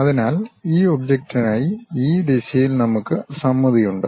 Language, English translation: Malayalam, So, we have symmetry in this direction for this object